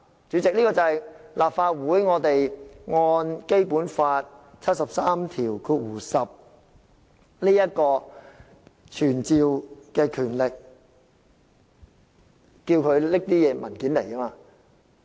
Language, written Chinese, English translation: Cantonese, 主席，這正是《基本法》第七十三條第十項賦予立法會傳召的權力，可要求署長帶同文件到立法會席前。, President this is precisely the summonsing power vested in the Legislative Council under Article 7310 of the Basic Law to request the Commissioner to attend before the Council with the relevant documents